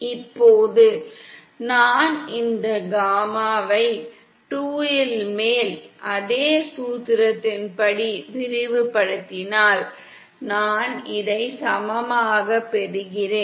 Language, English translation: Tamil, Now if I expand this gamma in2 further according to same formula I get this equal to